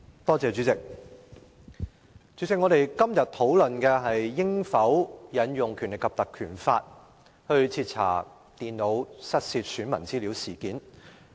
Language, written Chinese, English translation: Cantonese, 代理主席，我們今天討論應否引用《立法會條例》徹查手提電腦失竊，選民資料外泄事件。, Deputy President today we are discussing whether we should invoke the Legislative Council Ordinance to thoroughly investigate the incident relating to the loss of notebook computers and the leakage of personal data of electors